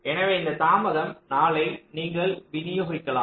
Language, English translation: Tamil, four and four, so this delay of four you can distribute